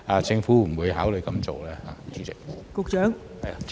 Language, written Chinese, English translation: Cantonese, 政府會否考慮這樣做呢？, Will the Government consider doing so?